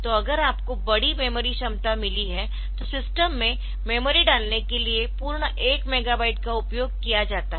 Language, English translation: Hindi, So, if you have got large memory capacity then that may be full one megabyte is used for the for addressing the for putting memory into the system